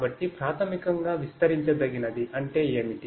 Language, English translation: Telugu, So, basically expandable means what